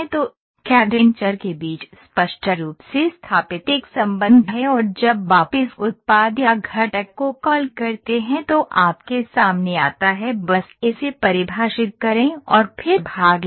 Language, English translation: Hindi, So, CAD there is a relationship clearly established between these variables and when you call this this product or component comes in front of you just define it and then get the part